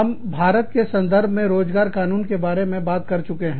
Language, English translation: Hindi, We have talked about, employment law, in the context of India